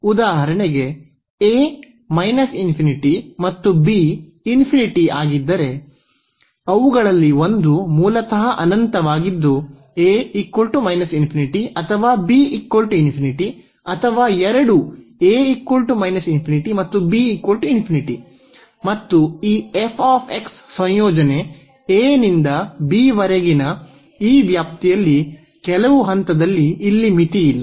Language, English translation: Kannada, If this a is for example, minus infinity and or b is plus infinity so, one of them is basically infinity that a is minus infinity or b is plus infinity or both, a is minus infinity and b is infinity and this f x the integrand here is unbounded at some point in the range of this x from a to b